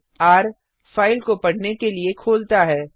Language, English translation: Hindi, r – opens file for reading